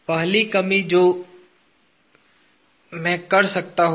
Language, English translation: Hindi, The first reduction that I can make